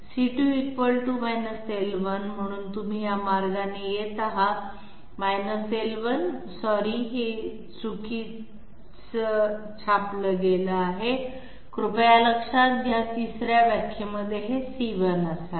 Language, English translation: Marathi, C2 C2 = L1, so you are coming this way L1 and ending up in the sorry this is a misprint, please note, this should be C1 this should be C1 in the 3rd definition